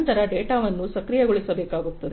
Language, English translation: Kannada, Then the data will have to be processed